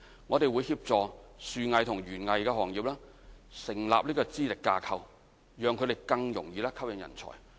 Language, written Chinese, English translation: Cantonese, 我們會協助樹藝和園藝行業成立資歷架構，讓他們更容易吸引人才。, We will help establish qualifications framework for arboriculture and horticulture so as to help them recruit talents